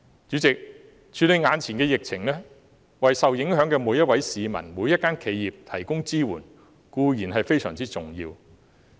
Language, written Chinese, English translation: Cantonese, 主席，處理眼前的疫情，為受影響的每一位市民、每一家企業提供支援，當然非常重要。, President of course it is vitally important to provide support for every member of the public and every enterprise affected in handling the current epidemic